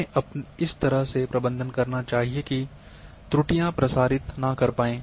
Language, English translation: Hindi, We should manage in such a way that errors does not propagate one